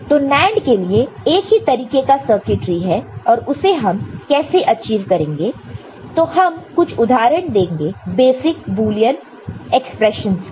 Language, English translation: Hindi, So, NAND you just having only one kind of circuitry and how we can achieve it so, we just give some examples of basic, Boolean operations